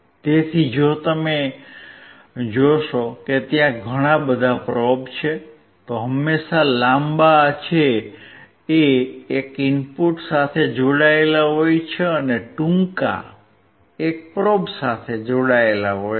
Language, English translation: Gujarati, So, if you see there are lot of probes, always a longer one is connected to the input, and the shorter one is connected to the probe